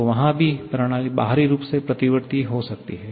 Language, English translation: Hindi, So, there also the system can be internally sorry externally reversible